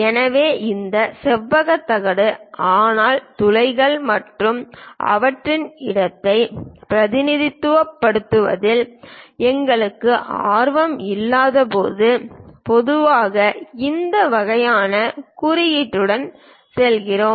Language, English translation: Tamil, So, when we are not interested to represent this rectangular plate, but holes and their location, usually we go with this kind of tagging